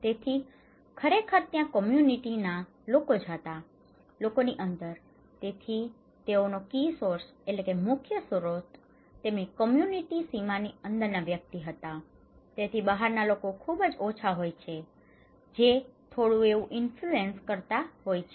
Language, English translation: Gujarati, So, it is actually there, the inside the people, they are the key source of informations for that within the community boundaries all belong to within the community boundaries so, outsiders have very little; a little influence okay